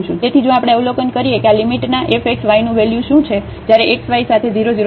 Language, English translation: Gujarati, So, for that if we observe that what is the value of this f xy of this limit when x y goes to 0 0 along x is equal to y